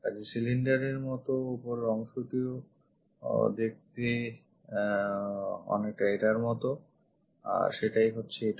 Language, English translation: Bengali, So, the cylinder top portion looks like this one, that one is this